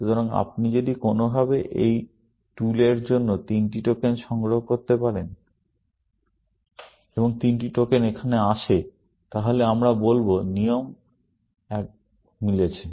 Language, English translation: Bengali, So, if you can somehow, collect three tokens for this tool one, and the three tokens arrive here, then we will say rule one is matching